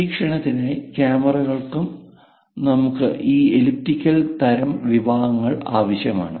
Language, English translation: Malayalam, For surveillance, cameras also we require this elliptical kind of sections